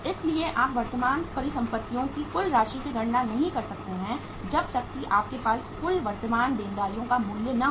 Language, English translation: Hindi, So you cannot calculate the total amount of current assets until and unless you have the value of the total current liabilities